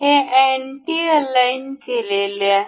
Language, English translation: Marathi, This is anti aligned